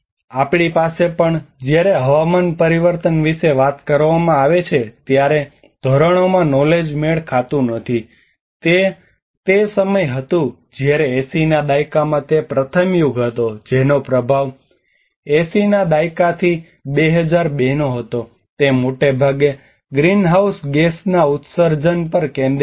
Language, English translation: Gujarati, Where we have also the knowledge mismatches in the norms when we talk about the climate change, it was when it was discussed in the 80s which was the first era from 80s to 2002 it was mostly focused on the greenhouse gas emissions